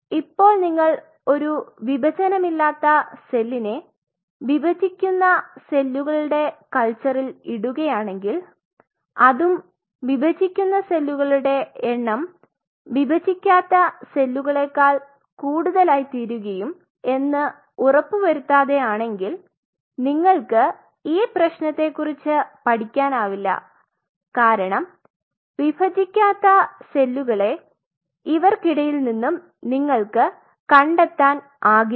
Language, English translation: Malayalam, Now if you put a non dividing cell with a dividing cell in a culture and without ensuring that the dividing cells a rest is division the dividing cell will outnumber the non dividing cells and so much so that you lose tab on the problem that you know you will not be able to even locate the non dividing cell